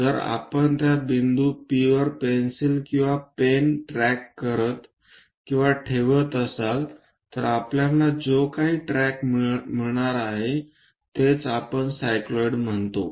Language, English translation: Marathi, So, if we are tracking or keeping a pencil or pen on that point P whatever the track we are going to get that is what we call cycloid